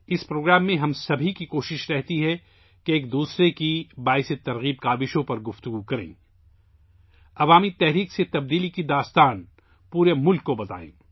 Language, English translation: Urdu, In this program, it is our endeavour to discuss each other's inspiring efforts; to tell the story of change through mass movement to the entire country